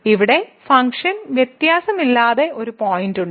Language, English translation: Malayalam, So, there is a point here where the function is not differentiable